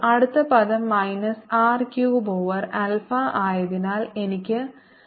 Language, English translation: Malayalam, then next term is minus r cubed over alpha, so i have minus one over alpha